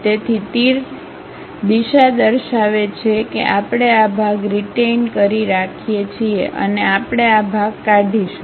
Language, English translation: Gujarati, So, the arrow direction represents we are going to retain this part and we are going to remove this part